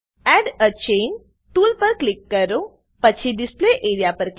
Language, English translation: Gujarati, Click on Add a Chain tool, then click on Display area